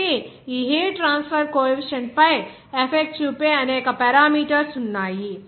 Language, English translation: Telugu, So, there are several parameters that effect on this heat transfer coefficient